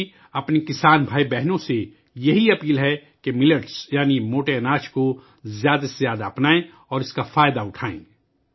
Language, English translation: Urdu, It is my request to my farmer brothers and sisters to adopt Millets, that is, coarse grains, more and more and benefit from it